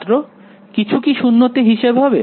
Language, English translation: Bengali, Has something has to counted at 0